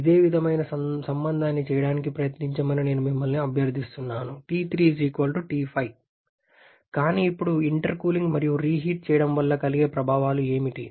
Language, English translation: Telugu, I request you to try to be the same relation as T3 = T5 But now what are the effects of intercooling and reheating